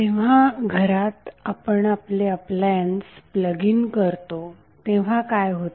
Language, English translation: Marathi, So what happens when you plug in your appliance in the house